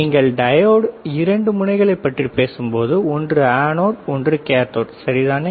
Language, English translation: Tamil, When you talk about diode two ends one is anode one is cathode, all right